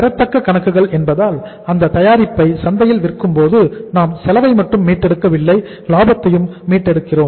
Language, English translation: Tamil, Because accounts receivable we are not only while selling that product in the market we are not recovering the cost, we are recovering the profit also